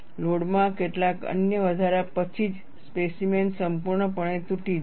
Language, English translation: Gujarati, Only after some other increase in load, the specimen will completely break